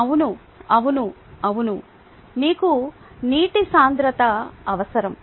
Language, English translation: Telugu, yes, right, yeah, you need the density of water